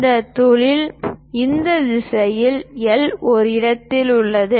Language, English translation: Tamil, This hole is at a location of L in this direction